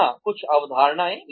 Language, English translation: Hindi, Some concepts here